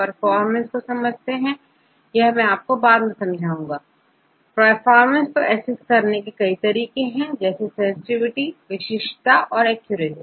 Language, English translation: Hindi, You can, I will explain later about the how to assess the performance, there are various measures to assess the performance like sensitivity, specificity and accuracy